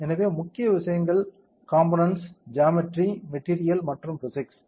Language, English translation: Tamil, So, main things component, geometry, material and the physics these are the main things